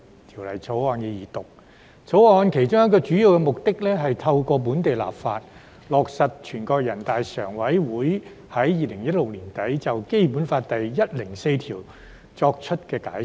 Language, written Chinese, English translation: Cantonese, 《條例草案》其中一個主要目的，是透過本地立法，落實全國人民代表大會常務委員會在2016年年底，就《基本法》第一百零四條作出的解釋。, One of the main purposes of the Bill is to implement by way of local legislation the Interpretation of Article 104 of the Basic Law of the Hong Kong Special Administrative Region of the Peoples Republic of China adopted by the Standing Committee of the National Peoples Congress NPCSC at the end of 2016